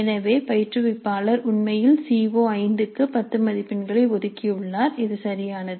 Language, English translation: Tamil, So the instructor has allocated actually 10 marks to CO5 that is perfectly alright